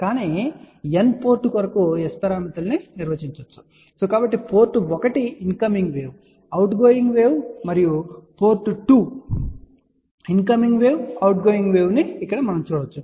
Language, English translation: Telugu, But S parameters can be defined for N port so we can see here port 1 incoming wave outgoing wave then port 2 incoming wave outgoing wave